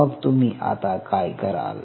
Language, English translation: Marathi, so then, what you do